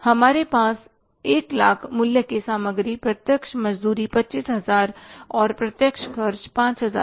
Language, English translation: Hindi, We have material of 100,000s, worth 100,000s, direct wages 25,000s and direct expenses 5,000